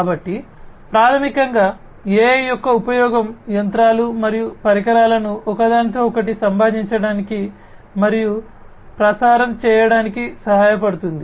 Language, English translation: Telugu, So, basically, you know, use of AI helps the machines and equipments to communicate and relay information with one another